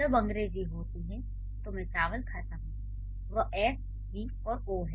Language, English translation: Hindi, So, when it is English, I eat rice, that is S, V and O